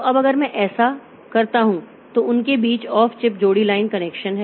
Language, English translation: Hindi, So, now if I, so there are off chip copper line connections between them